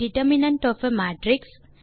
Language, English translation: Tamil, determinant of a matrix